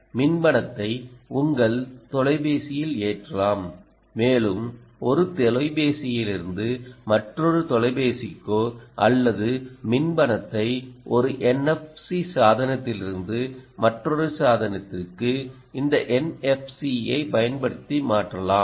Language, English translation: Tamil, you can have e cash loaded on your phone and you can transfer e, cash, ah, from one phone to another phone or from one n f c device to another device using this n f c